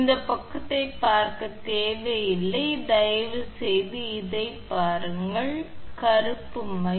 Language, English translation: Tamil, No need to see to this side you please see this one, the black one, black ink